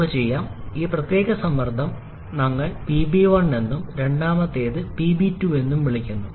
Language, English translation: Malayalam, Let us say this particular pressure we term as PB 1 and the second one we term as PB 2